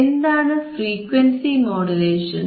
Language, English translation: Malayalam, What are frequency modulations